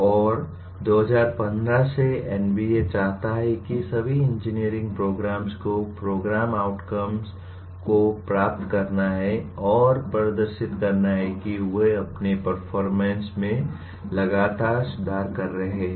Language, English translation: Hindi, And NBA since 2015 requires all engineering programs attain the program outcomes and demonstrate they are continuously improving their performance